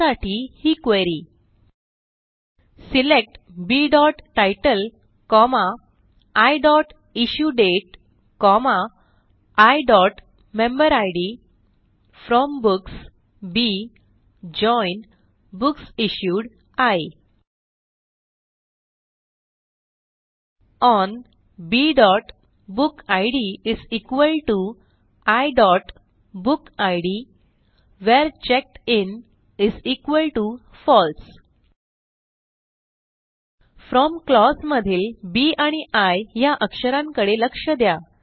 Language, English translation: Marathi, So the query is: SELECT B.title, I.IssueDate, I.Memberid FROM Books B JOIN BooksIssued I ON B.bookid = I.BookId WHERE CheckedIn = FALSE Notice the letters B and I in the FROM clause